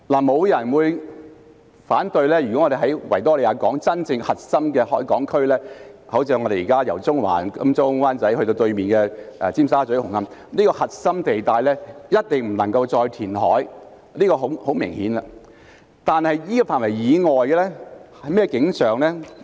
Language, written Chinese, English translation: Cantonese, 沒有人會反對，維港的真正核心海港區，即由中環、金鐘或灣仔至對面的尖沙咀和紅磡這個核心地帶，是一定不能夠再填海的，這一點是很明顯的，但在這個範圍以外是甚麼景象呢？, No one will oppose that no further reclamation should be carried out at the real harbour core that is the core area from Central Admiralty or Wan Chai to Tsim Sha Tsui and Hung Hom on the opposite side . This is most obvious . But how about the area outside the core?